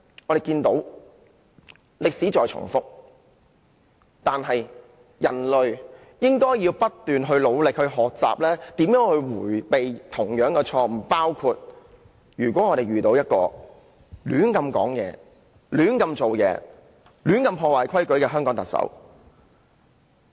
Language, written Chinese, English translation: Cantonese, 我們看到歷史在重複，但其實人類是應該不斷努力學習以避免再犯同樣的錯誤，情況就如香港遇到一名胡亂說話、胡亂做事及胡亂破壞香港規矩的特首。, As we can see history keeps repeating itself . And yet the fact is human beings should learn very hard to avoid making the same mistakes . As in the case of Hong Kong we have a Chief Executive who has been talking nonsense acting recklessly and breaking local rules arbitrarily